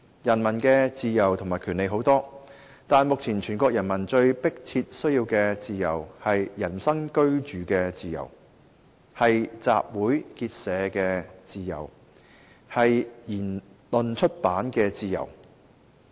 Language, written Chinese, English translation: Cantonese, 人民的自由和權利很多，但目前全國人民最迫切需要的自由，是人身居住的自由，是集會結社的自由，是言論出版的自由。, There are many forms of peoples rights and freedoms but what the whole nation urgently needs now are the freedom of movement the freedom of assembly and association as well as the freedom of speech and of publication